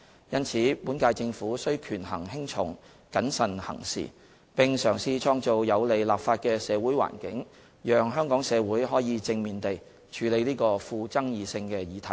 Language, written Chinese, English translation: Cantonese, 因此，本屆政府須權衡輕重、謹慎行事，並嘗試創造有利立法的社會環境，讓香港社會可以正面地處理這個富爭議性的議題。, For this reason the current - term Government has to weigh the pros and cons and act cautiously to try and create the right social conditions for legislation such that the Hong Kong community may deal with this controversial subject in a constructive manner